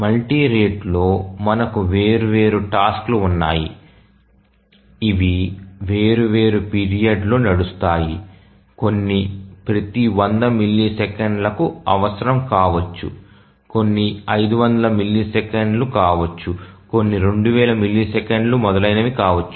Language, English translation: Telugu, periods so which are we called as multi rate operating system in multi rate we have multiple tasks which require running at different periods some may be requiring every 100 milliseconds, some may be 500 milliseconds, some may be 2,000 milliseconds, etc